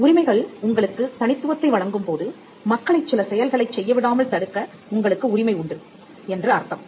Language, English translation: Tamil, Now, when rights offer you exclusivity; it means that you have a right to stop people from doing certain acts